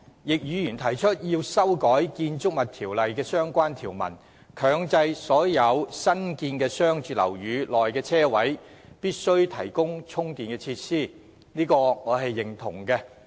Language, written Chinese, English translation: Cantonese, 易議員提出修改《建築物條例》的相關條文，強制所有新建商住樓宇的車位均須提供充電設施，對此我表示認同。, I support Mr YICKs proposal to amend the relevant provisions of the Buildings Ordinance to mandate the provision of charging facilities at all parking spaces in newly constructed commercial and residential buildings